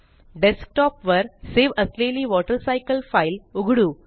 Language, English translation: Marathi, Let us open the file WaterCycle that was saved on the Desktop